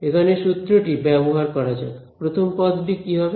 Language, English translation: Bengali, So, let us just use the formula, so this will be first term will be